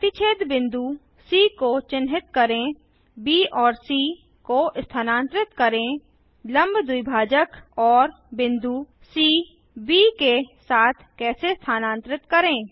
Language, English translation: Hindi, Mark point of intersection as C Lets Move point B, C how the perpendicular bisector and point C move along with point B